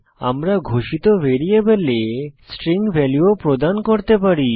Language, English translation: Bengali, We can also assign a string value to the variable we declared